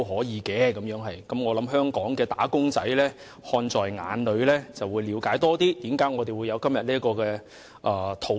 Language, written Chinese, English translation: Cantonese, 我相信香港的"打工仔"看在眼裏，更了解為何我們今天會有這項討論。, I believe that after seeing this wage earners in Hong Kong have gained a better understanding of why we are having this discussion today